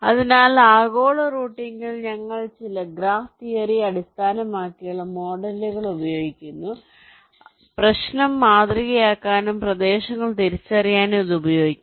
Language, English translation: Malayalam, so in global routing we use some graph theory based models so which can be used to model the problem and also identified the regions